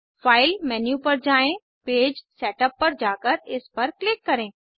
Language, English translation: Hindi, Go to File menu, navigate to Page Setup and click on it